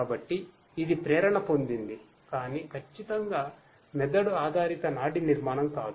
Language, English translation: Telugu, So, you know it is inspired, but not exactly you know brain based neural structure that is followed